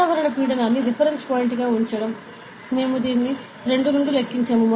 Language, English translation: Telugu, So, keeping the atmospheric pressure as the reference point, we will count from that